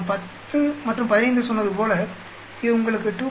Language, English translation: Tamil, As I said 10 and 15 it gives you 2